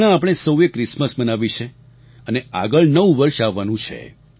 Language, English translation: Gujarati, All of us have just celebrated Christmas and the New Year is on its way